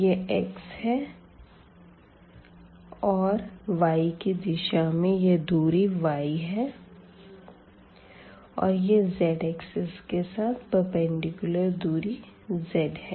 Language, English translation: Hindi, So, this is x here and then along this y direction we have this distance y and then this is the perpendicular distance along the z axis, this is the z